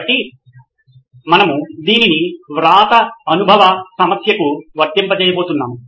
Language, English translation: Telugu, So we’re going to apply it to the writing experience problem